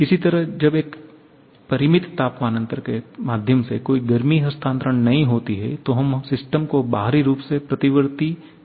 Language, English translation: Hindi, Similarly, when there is no heat transfer through a finite temperature difference, then we call the system to be externally reversible